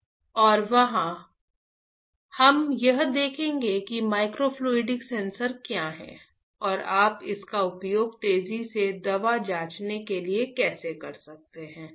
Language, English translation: Hindi, And there we will see what is a microfluidic sensor and how can you use it for rapid drug screening ok